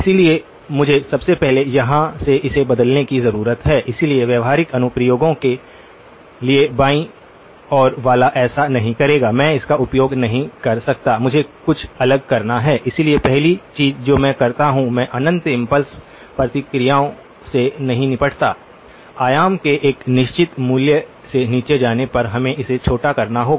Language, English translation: Hindi, So, I need to first of all change this from here, so for practical applications the one on the left will not do, I cannot use it, I have to do something different, so the first thing that I do is, I do not deal with infinite impulse responses, we have to truncate it once the amplitudes go below a certain value